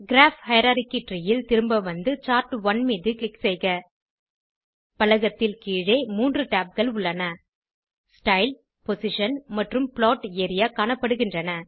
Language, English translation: Tamil, In the Graph hierarchy tree lets go back and click on Chart1 In the panel below, three tabs, Style, Position and Plot area are seen.